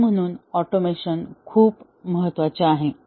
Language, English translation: Marathi, And therefore automation is very important